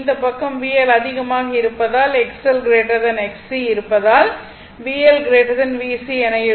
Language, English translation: Tamil, This side because V L greater, because X L greater than X C means V L greater than V C